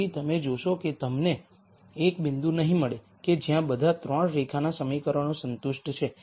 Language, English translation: Gujarati, So, you find that you cannot get a point where the all 3 lines equations are satis ed